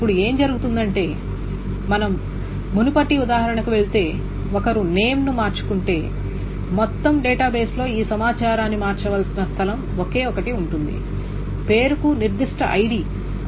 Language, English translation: Telugu, And now what happens is that if we go about the previous example, if one changes the name, there is only one place that this whole information needs to be changed in the database, the tuple corresponding to that particular ID2 name